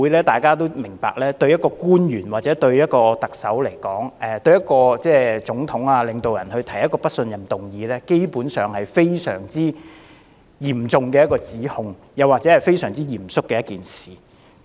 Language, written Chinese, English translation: Cantonese, 大家都明白，在外國的議會對一位官員或總統、領導人提出不信任議案，是非常嚴重的指控或非常嚴肅的一件事。, We all understand that in the foreign legislatures the proposal of a motion of no confidence in an official the president or the state leader is a serious accusation or a serious issue